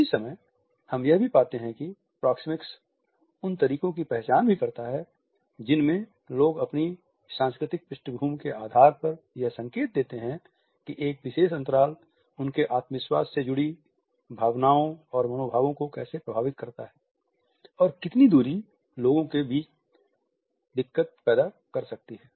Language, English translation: Hindi, At the same time we find that proxemics also identifies the ways in which people bank on their cultural background to suggest how a particular spacing can pass on feelings and emotions related with their confidence, how much distance can create annoyance amongst people